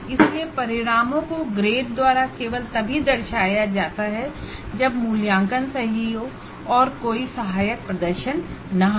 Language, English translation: Hindi, So, the outcomes are represented by grades only when assessment is right, there is no assisted performance activity and evaluation is right